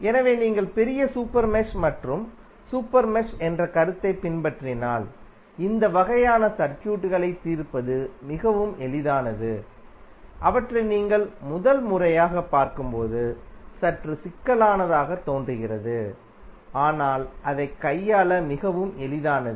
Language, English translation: Tamil, So, if you follow the concept of larger super mesh and the super mesh it is very easy to solve these kind of circuits which looks little bit complicated when you see them for first time but it is very easy to handle it